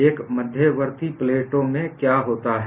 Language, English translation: Hindi, What happens in intermediate plates